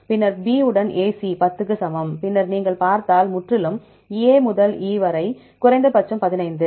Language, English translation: Tamil, Then AC with the B equal to 10 and then totally if you see the A to E, at least 15